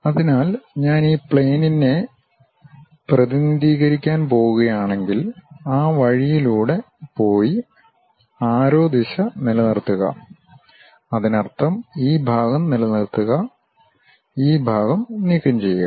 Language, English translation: Malayalam, So, if I am going to represent this plane really goes all the way in that way and retain the arrow direction part; that means, retain this part, remove this part